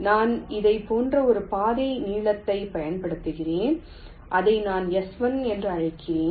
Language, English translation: Tamil, let say i use a trail length like this: i call it s one